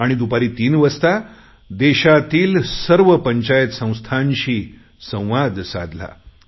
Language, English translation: Marathi, At 3 in the afternoon I shall be talking to all panchayats of the country